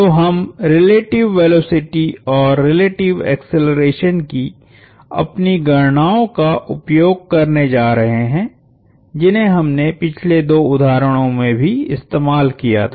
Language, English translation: Hindi, So, we are going to use our relative velocity and relative acceleration calculations that we started to, that we used in the previous two examples as well